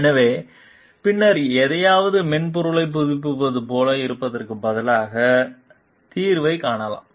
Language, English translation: Tamil, So, then instead of like updating a software for something solution can be found out